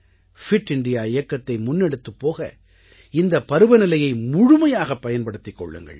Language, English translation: Tamil, Use the weather to your advantage to take the 'Fit India Movement 'forward